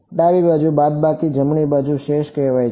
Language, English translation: Gujarati, Left hand side minus right hand side is called residual